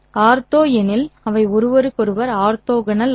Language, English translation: Tamil, Ortho because they are orthogonal to each other